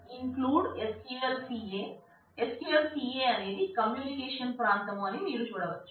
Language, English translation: Telugu, So, you can see that this says that EXEC SQL include, SQLCA, SQLCA is the communication area